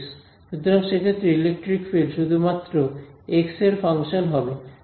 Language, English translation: Bengali, So, in that case electric field etcetera is just a function of x